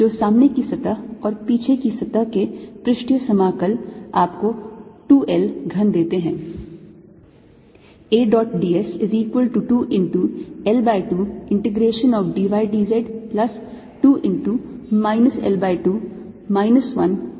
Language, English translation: Hindi, so the front surface and the back surface area integral gives you two l cubed